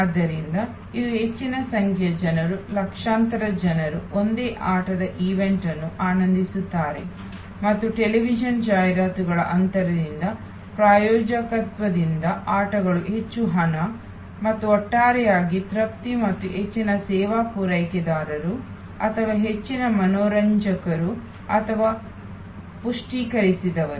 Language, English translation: Kannada, And so as a result today large number of people, millions of people enjoy the same game event and the games are lot more money by sponsorship by television ads gaps and on the whole therefore, more people at satisfied and more service providers or more entertainers or enriched